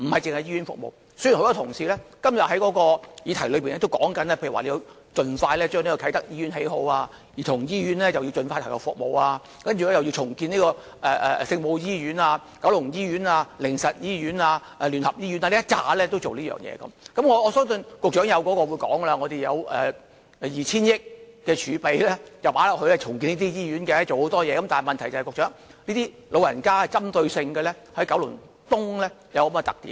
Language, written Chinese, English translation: Cantonese, 雖然多位同事今天提出，要盡快興建啟德醫院、香港兒童醫院要盡快投入服務，又要重建聖母醫院、九龍醫院、靈實醫院、基督教聯合醫院等，而我相信局長會表示當局已預留了 2,000 億元儲備作醫院重建工程，但當局須針對九龍東長者人口多的特點處理。, Many Honourable colleagues have urged for the expeditious construction of the Kai Tak Hospital the early commencement of the Hong Kong Childrens Hospital and the redevelopment of the Our Lady of Maryknoll Hospital the Kowloon Hospital the Haven of Hope Hospital and the United Christian Hospital . I think the Secretary will probably say that a reserve of 200 billion has been set aside for hospital redevelopment works . Yet I think the authorities should formulate targeted measures to cater for the large elderly population in Kowloon East